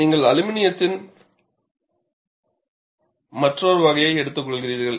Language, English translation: Tamil, So, you take up another category of aluminum